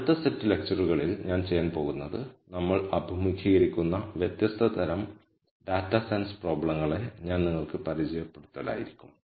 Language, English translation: Malayalam, The next set of lectures what I am going to do is I am going to introduce to you different types of data science problems that we encounter, how do we think about these data science problems